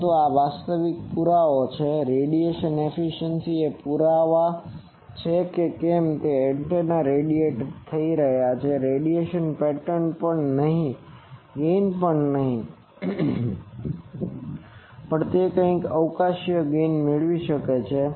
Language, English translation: Gujarati, But this is a actual proof that radiation efficiency is the proof whether antenna is radiating, not the radiation pattern not even the gain a non radiating thing also may have some spatiall gain